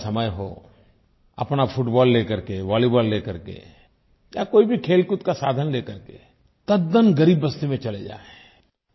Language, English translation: Hindi, In the evening, take your football or your volleyball or any other sports item and go to a colony of poor and lesser privileged people